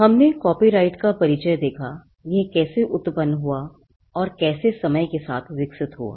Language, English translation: Hindi, We just saw the introduction to copyright and how it originated and evolved over a period of time